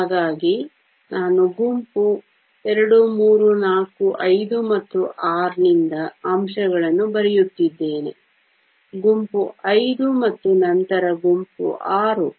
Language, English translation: Kannada, So, I am writing the elements from group II, III, IV, V and VI; group V and then group VI